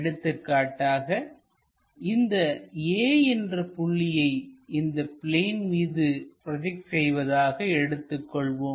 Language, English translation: Tamil, For example, let us consider a point which is making a projection on the plane